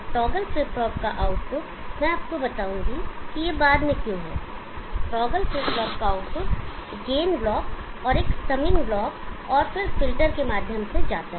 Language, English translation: Hindi, The output of the toggle flip flop, I will tell you why this is later output of the toggle flip flop goes through gain block, assuming block and then filter